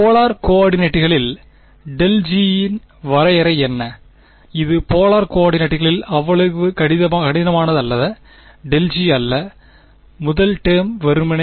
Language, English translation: Tamil, What is the definition of del G in polar coordinates, this one is not that difficult del G in polar coordinates, the first term is simply